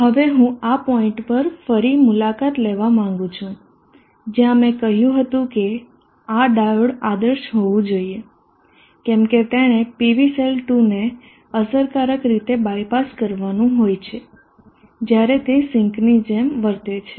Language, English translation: Gujarati, I would now like to revisit this point where I said that this diode should be ideal, if it has to effectively by pass the PV cell 2 when it is acting like a sink